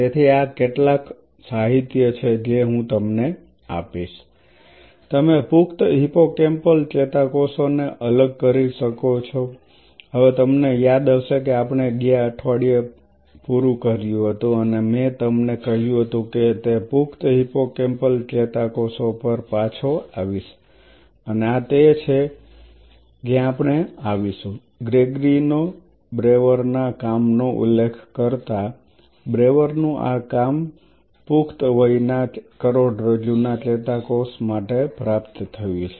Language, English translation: Gujarati, So, these are some of the literatures I will be giving you, you can separate out the adult hippocampal neurons, now you remember where we left last week and I told you I will come back to that adult hippocampal neurons and this is where we will be referring to Brewer’s work Gregory, Brewer’s work this has been achieved for adult spinal cord neurons